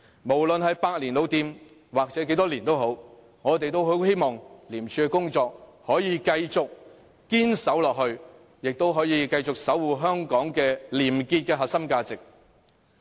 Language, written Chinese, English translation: Cantonese, 無論是百年或多少年的老店，我們也很希望廉署可以繼續堅守崗位，可以繼續守護香港廉潔的核心價值。, Whether ICAC is really a century - old shop we earnestly hope that it can remain steadfast in its duty and continue to safeguard the core value of probity in Hong Kong